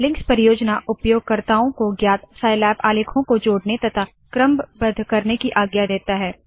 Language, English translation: Hindi, The links project allows users to link known scilab documents and to rank them